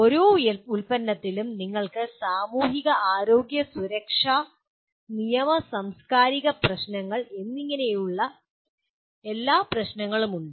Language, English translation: Malayalam, And with every product you have all the issues namely societal, health, safety, legal and cultural issues